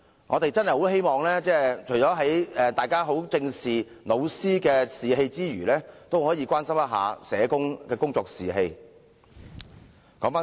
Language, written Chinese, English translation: Cantonese, "我們真的很希望大家在正視教師的士氣之餘，亦會關心社工的工作士氣。, We very much hope that Members will not only pay serious attention to the morale of teachers but will also care about the morale of social workers